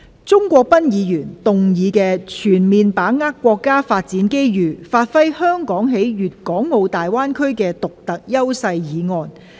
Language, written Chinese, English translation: Cantonese, 鍾國斌議員動議的"全面把握國家發展機遇，發揮香港在粵港澳大灣區的獨特優勢"議案。, Mr CHUNG Kwok - pan will move a motion on Fully seizing the national development opportunities to give play to Hong Kongs unique advantages in the Guangdong - Hong Kong - Macao Greater Bay Area